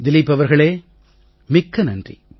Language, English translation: Tamil, Dilip ji, thank you very much